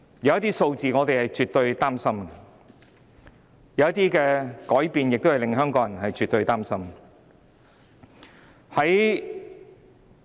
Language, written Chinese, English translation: Cantonese, 有些數字令我們很擔心，有些改變亦絕對令香港人很擔心。, Some figures have caused us grave concern and some changes have absolutely caused great worries to Hongkongers